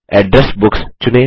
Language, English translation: Hindi, Select Address Books